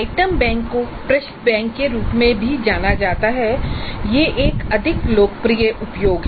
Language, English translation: Hindi, Now as I mentioned item bank is also known as question bank that's a more popular usage actually